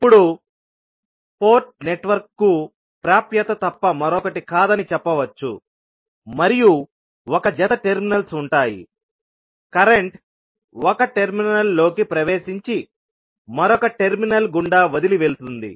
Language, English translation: Telugu, Now, you can also say that the port is nothing but an access to a network and consists of a pair of terminal, the current entering one terminal leaves through the other terminal so that the current entering the port will be equal to zero